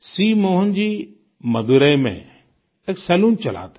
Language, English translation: Hindi, Shri Mohan ji runs a salon in Madurai